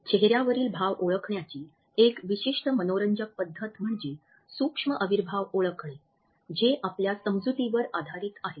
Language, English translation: Marathi, A particular interesting aspect of the recognition of facial expressions is based on our understanding of what is known as micro expressions